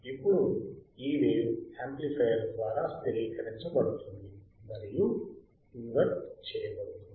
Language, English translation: Telugu, Then this wave is stabilized and inverted by the amplifier